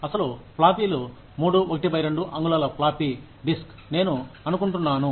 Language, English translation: Telugu, The actual floppies, the 3 1/2 inch floppy disk, I think